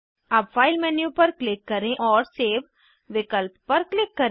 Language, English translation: Hindi, Now let us click on File menu and click on the Save option